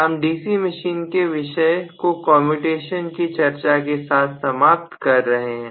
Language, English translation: Hindi, So we are concluding the topic of DC machines with this particular explanation for commutation